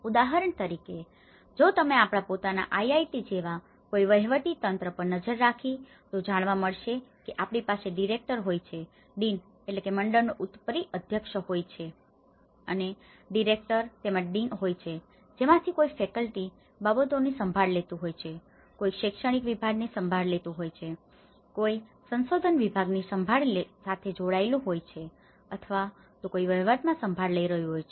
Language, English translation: Gujarati, Like for instance, if you look at any administrative setup like our own IIT we have a director then we have the deans and we have a director and we have the deans and so, someone is taking care of the faculty affairs, someone is taking of the academic, someone is taking with the research, someone is taking to administration and then each this is further divided into different departments and different heads are taking care of it